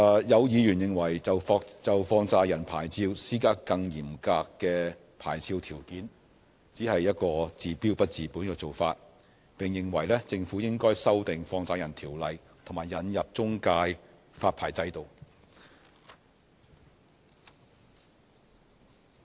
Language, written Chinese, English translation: Cantonese, 有議員認為就放債人牌照施加更嚴格的牌照條件，只是一個治標不治本的做法，並認為政府應該修訂《放債人條例》和引入中介發牌制度。, Some Members consider that the imposition of more stringent licensing conditions on money lender licences can address only the symptoms but not the crux of the problem adding that the Government should make amendments to the Money Lenders Ordinance and introduce a licensing regime for intermediaries